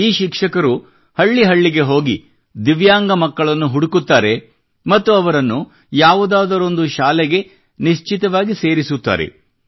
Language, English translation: Kannada, These teachers go from village to village calling for Divyang children, looking out for them and then ensuring their admission in one school or the other